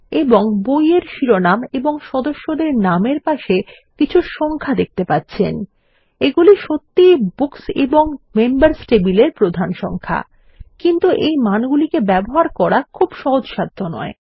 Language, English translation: Bengali, And against book title and member name, we see some numbers, Which are really primary numbers in the Books and Members table, but not very friendly values